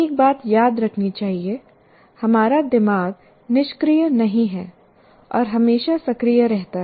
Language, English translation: Hindi, And one thing should be remembered, our brains are constantly active